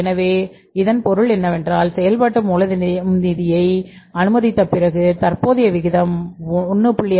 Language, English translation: Tamil, So, it means on the date of sanctioning the working capital finance if the current ratio is 1